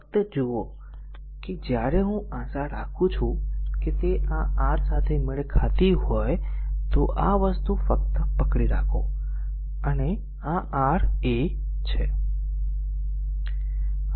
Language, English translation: Gujarati, Just see that when I making it hope it is matching with this your this thing just hold on let me have a look this one this one R 1, R 2, R 3 ok